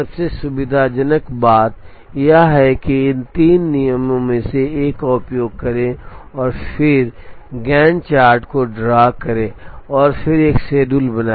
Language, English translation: Hindi, The most convenient thing to do is to use one of these three rules, and then draw the Gantt chart and make a schedule